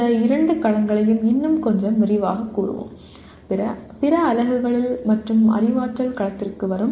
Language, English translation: Tamil, We will elaborate these two domains a little more in other units and coming to Cognitive Domain